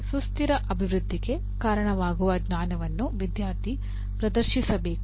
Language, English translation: Kannada, Student should demonstrate the knowledge of what can lead to sustainable development